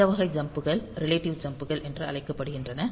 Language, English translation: Tamil, So, this type of jumps so, they are known as relative jumps